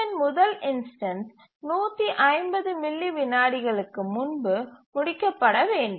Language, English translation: Tamil, So, the first instance of T2 must complete before 150 milliseconds